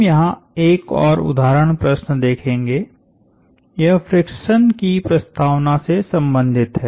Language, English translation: Hindi, We will look at another example problem here, this one relates to the introduction of friction